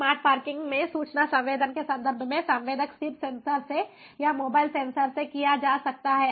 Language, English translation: Hindi, in terms of information sensing, in smart parking, the sensing can be done from stationary sensors or from mobile sensors